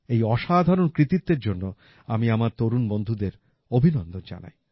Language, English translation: Bengali, I congratulate my young colleagues for this wonderful achievement